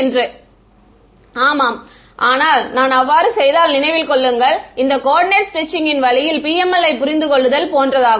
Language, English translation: Tamil, Yeah, but if I make so that the remember that is this coordinate stretching way of understanding PML